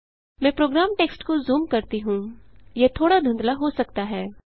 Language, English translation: Hindi, Let me zoom into the program text it may possibly be a little blurred